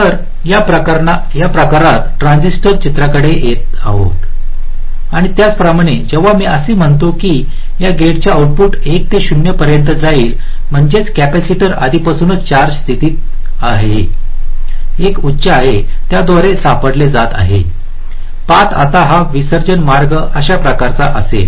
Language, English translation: Marathi, and similarly, when i say that the output of this gate is going from one to zero, which means the capacitor was already in the charge state is one high, it is discharging through this path